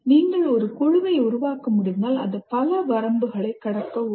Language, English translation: Tamil, If you can form a group that will greatly help overcome many of the other limitations